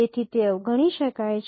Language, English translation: Gujarati, So those can be ignored